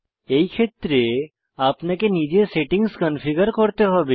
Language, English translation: Bengali, In such a case, you must configure the settings manually